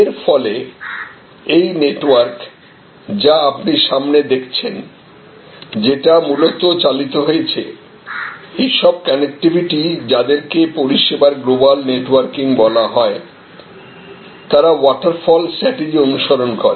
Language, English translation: Bengali, So, as a result this network that you see in front of you was driven mostly, all these connectivity’s are the so called global networking of services happened following in almost waterfalls strategy